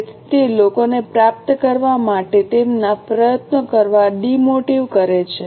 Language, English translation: Gujarati, So, it demotivates the people to put their effort to achieve them